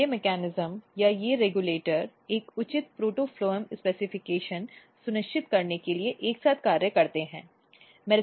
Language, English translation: Hindi, So, these mechanisms or these regulators together they are functioning to ensure a proper protophloem specification